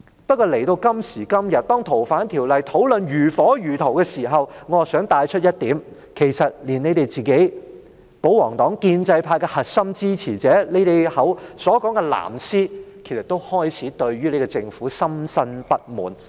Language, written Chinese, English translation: Cantonese, 不過，當今時今日對"逃犯條例"的討論如火如荼時，我想帶出一點，其實連保皇黨、建制派的核心支持者、你們說的所謂"藍絲"，也開始對政府深深不滿。, However when the discussion on the Fugitive Offenders Ordinance FOO is being conducted on full throttle now I wish to raise a point and that is actually even the core supporters of the pro - Government camp or the pro - establishment camp or the blue ribbon camp as referred to by you have started to feel deeply dissatisfied with the Government